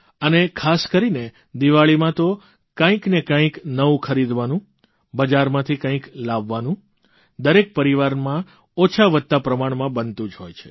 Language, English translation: Gujarati, And especially during Diwali, it is customary in every family to buy something new, get something from the market in smaller or larger quantity